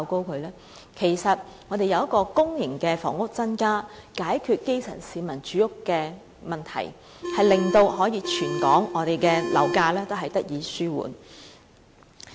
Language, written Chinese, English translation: Cantonese, 其實我們建議增加公營房屋，以期解決基層市民住屋的問題，甚至可以令全港樓價高漲問題得以紓緩。, Actually our proposal of increasing the production of public housing to address the housing need of the grass - roots people may also alleviate the issue of soaring property prices in Hong Kong